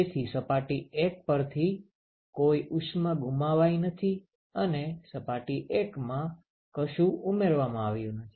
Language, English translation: Gujarati, So, there is no heat that is lost from surface 1 and nothing is added to surface 1